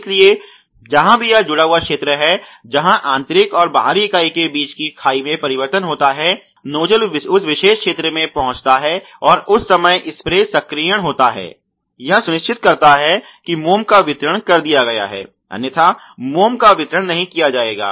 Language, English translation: Hindi, So, wherever there is this hemming region where there is a change of the gap between the inner and the outer member because of which there is a spray actuation on the moment the nozzle reaches that particular zone, it ensures that the wax has disposed off; otherwise the wax will not disposed off